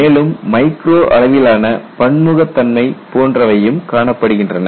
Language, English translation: Tamil, Then you have this micro scale heterogeneity and so on